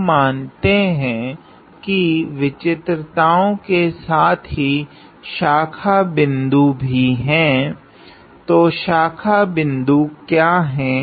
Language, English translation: Hindi, Now besides singularity suppose we have a branch point; so what is branch point